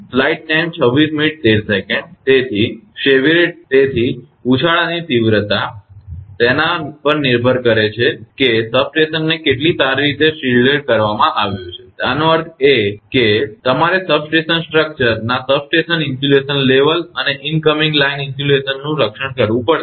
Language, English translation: Gujarati, So, the severity of the surge depends on how well the substation is shielded right; that means, you have to protect the substation insulation level of the substation structure, and the incoming line insulation